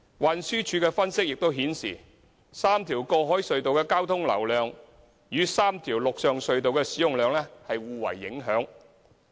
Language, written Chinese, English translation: Cantonese, 運輸署的分析亦顯示 ，3 條過海隧道的交通流量與3條陸上隧道的使用量互為影響。, A preliminary analysis of the Transport Department also shows that the traffic distribution among the three road harbour crossings will impact on the usage of the three land tunnels